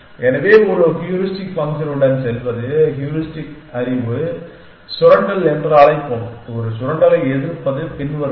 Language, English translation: Tamil, So, going with a heuristic function we will call exploitation of the heuristic knowledge and as oppose to a exploitation is following